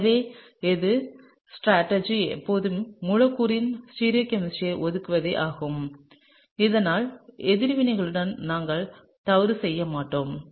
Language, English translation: Tamil, So, my strategy is always to assign stereochemistry of the molecule so, that we don’t make mistakes with the reaction, right